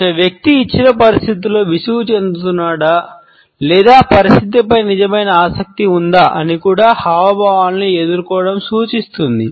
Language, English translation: Telugu, The hand to face gestures also suggests, whether a person is feeling bored in a given situation or is genuinely interested in the situation